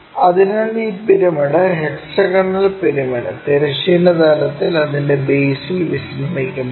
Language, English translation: Malayalam, So, when this pyramid, hexagonal pyramid resting on horizontal plane with its base